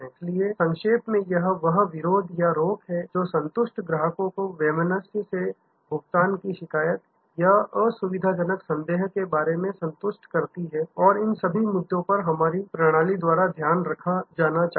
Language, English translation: Hindi, So, to summarize that the things that bar or deter, this satisfied customers from complaining or inconvenient doubt about pay off unpleasantness and all these issues must be taking care of by our your system